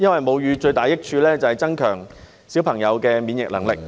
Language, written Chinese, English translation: Cantonese, 母乳最大的益處，是增強嬰兒的免疫能力......, The greatest benefit of breastfeeding is the enhancement of babies immune system